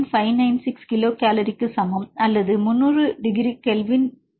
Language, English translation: Tamil, 596 kilo cal per mole or 300 degree kelvin ln k is minus 0